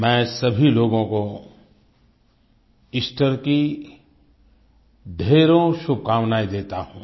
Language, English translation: Hindi, I extend my warmest greetings to everybody on the occasion of Easter